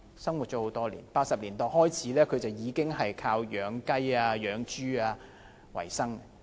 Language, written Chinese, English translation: Cantonese, 自1980年代開始，他已經靠養雞、養豬為生。, Since the 1980s he had been making a living by raising chickens and pigs